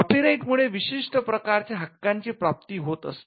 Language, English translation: Marathi, So, a copyright would confer an exclusive right to do certain set of things